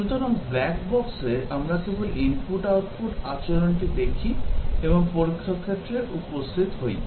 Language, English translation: Bengali, So, in a black box, we just look at the input output behavior and come up with the test case